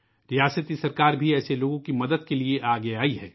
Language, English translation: Urdu, The state government has also come forward to help such people